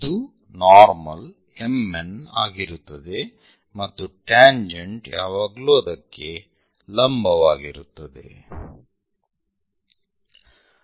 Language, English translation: Kannada, This will be the normal M N and the tangent always be perpendicular to that